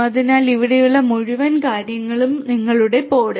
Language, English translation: Malayalam, So, this entire thing over here this is your pod this is one pod